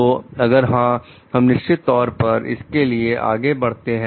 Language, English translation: Hindi, So, if yes, we definitely move forward for it